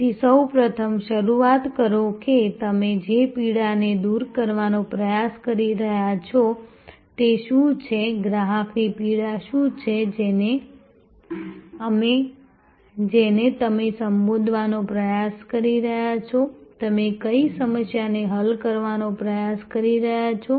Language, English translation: Gujarati, So, first start with what is the pain that you are trying to address, what is the customer pain that you are trying to address, what is the problem that you are trying to solve